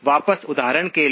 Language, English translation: Hindi, Back to the example